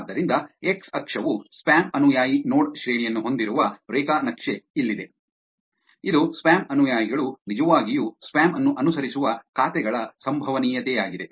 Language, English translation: Kannada, So, here is a graph which has on x axis spam follower node rank which is what is the probability that spam followers are the accounts which actually follow spam